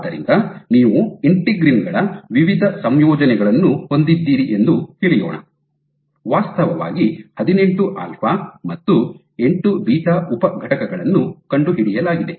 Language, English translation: Kannada, So, you have various combinations of integrins possible, actually 18 alpha and 8 beta subunits is have been determined